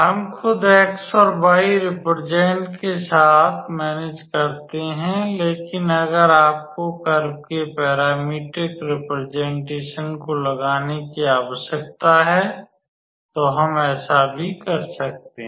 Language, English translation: Hindi, We managed with the x and y representation itself, but if you need to put the parametric representation of the curve, we can also do that